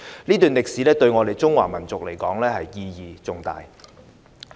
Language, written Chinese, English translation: Cantonese, 這段歷史對我們中華民族而言，意義重大。, This period of history is of great significance to the Chinese nation